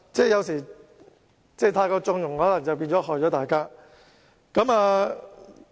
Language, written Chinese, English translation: Cantonese, 有時候，太過縱容便可能會害了大家。, Sometimes excessive tolerance may do us harm